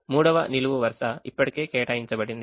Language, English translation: Telugu, the third column is already assigned